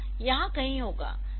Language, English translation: Hindi, So, it will be somewhere here